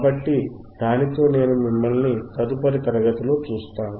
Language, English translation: Telugu, So, with that, I will see you in the next class